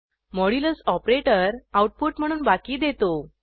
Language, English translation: Marathi, The modulus operator returns the remainder as output